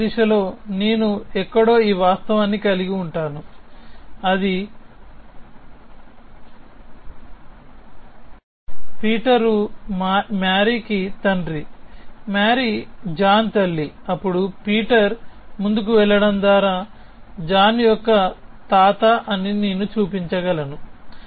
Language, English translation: Telugu, In the forward direction I would have this fact somewhere that says Peter is the father of marry and marry is a mother of John, then I can show that Peter is a grandfather of john by going in a forward direction